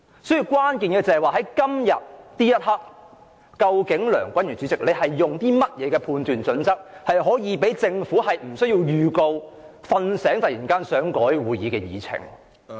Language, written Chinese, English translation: Cantonese, 所以，關鍵是在今天這一刻，梁君彥主席是基於甚麼判斷準則，容許政府可無經預告，"睡醒"後突然提出更改會議議程。, Therefore the crux of the matter at hand today lies in the judgment criteria on which Chairman Andrew LEUNG based his decision to allow the Government to initiate without notice a change to the agenda all of a sudden after it woke up